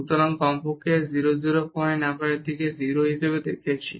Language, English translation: Bengali, So, at least at 0 0 point we have seen it as 0